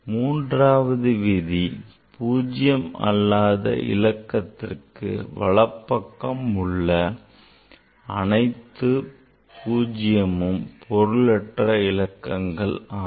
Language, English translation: Tamil, 3 rule is all 0s to the right of the last non zero digit are not significant figures